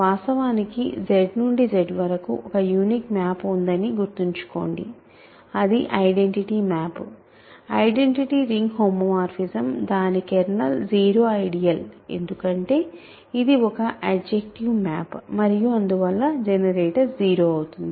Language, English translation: Telugu, Remember there is a unique map from Z to Z in fact, that is the identity map, identity ring homomorphism its kernel is the 0 ideal because, it is an adjective map and hence the generator is 0